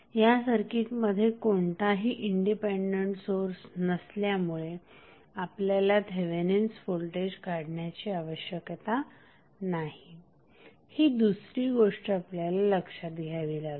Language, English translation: Marathi, Now, another thing which we have to consider is that since we do not have any independent source we need not to have the value for Thevenin voltage, why